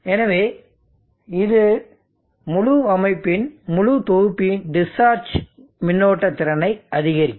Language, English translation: Tamil, So this will increase the discharge current capability of the whole set of the whole system